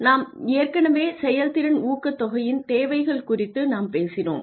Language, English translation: Tamil, We talked about incentives for performance incentives the requirements of performance incentives